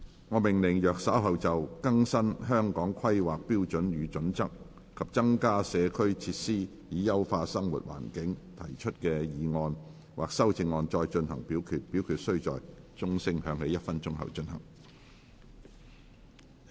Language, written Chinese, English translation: Cantonese, 我命令若稍後就"更新《香港規劃標準與準則》及增加社區設施以優化生活環境"所提出的議案或修正案再進行點名表決，表決須在鐘聲響起1分鐘後進行。, I order that in the event of further divisions being claimed in respect of the motion on Updating the Hong Kong Planning Standards and Guidelines and increasing community facilities to enhance living environment or any amendments thereto this Council do proceed to each of such divisions immediately after the division bell has been rung for one minute